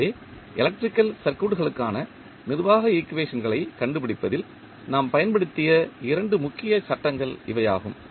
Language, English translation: Tamil, So, these were the two major laws which we used in finding out the governing equations for the electrical circuits